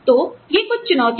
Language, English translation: Hindi, So, these are some of the challenges